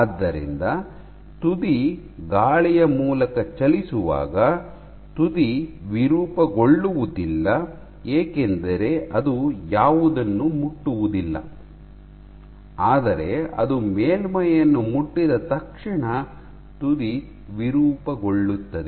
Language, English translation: Kannada, So, when the tip is moving through air the tip does not deform right, because it does not touch anything, but as soon as it touches the surface the tip deforms ok